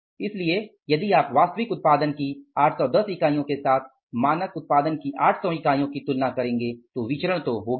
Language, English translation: Hindi, So, if you compare the 800 units of the standard output with 810 units of the actual output then variances are ought to be there